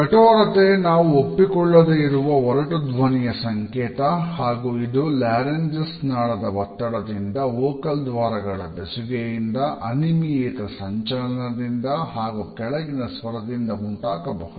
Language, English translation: Kannada, Harshness is related with a disagreeable rough voice it is caused by laryngeal strain and tension, extreme vocal fold contact, irregular vibration and low pitch